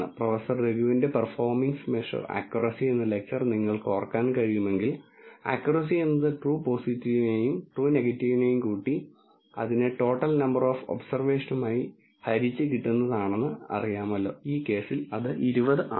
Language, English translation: Malayalam, If you can recall from Professor Raghu’s performance measure lecture accuracy is nothing but the sum of the true positive and true negative divided by the total number of observations which is 20 in this case